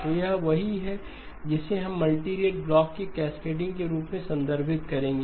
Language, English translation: Hindi, So this is what we would referred to as cascading of multirate blocks